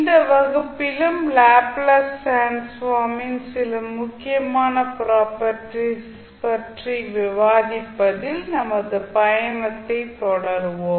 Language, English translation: Tamil, So in this class also we will continue our journey on discussing the few important properties of the Laplace transform